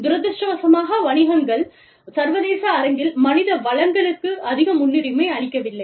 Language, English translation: Tamil, And people, unfortunately businesses, do not place a very high priority, on human resources, in the international arena